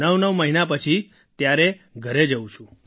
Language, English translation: Gujarati, I go home after 89 months